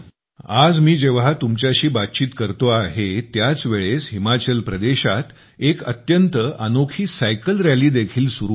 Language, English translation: Marathi, Friends, at this time when I am talking to you, a unique cycling rally is also going on in Himachal Pradesh